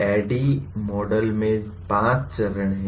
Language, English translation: Hindi, ADDIE Model has 5 phases